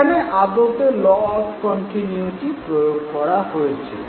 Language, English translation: Bengali, Let us look at another example of a law of continuity